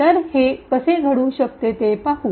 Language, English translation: Marathi, So, let us see how this can take place